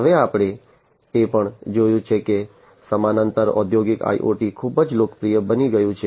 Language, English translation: Gujarati, Now, we have also seen that parallely industrial IoT has become very popular, right